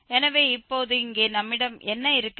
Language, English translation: Tamil, So, this is what we have written here